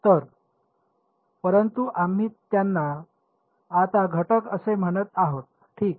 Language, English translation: Marathi, So, but we are calling them elements now ok